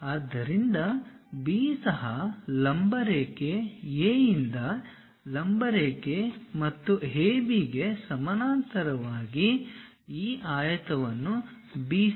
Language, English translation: Kannada, So, B also perpendicular line; from A also perpendicular line and parallel to AB, draw at a distance of BC this rectangle